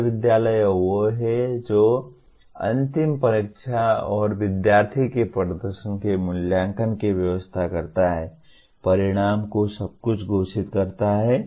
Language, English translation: Hindi, University is the one that arranges for final examination and evaluation of student performance, declaring the results everything